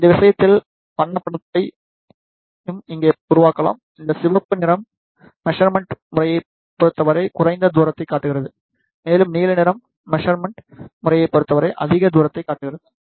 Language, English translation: Tamil, The colored image can also be created here; in this case this red color shows the less distance with respect to the measurement system, and blue color represents the more distance with respect to the measurement system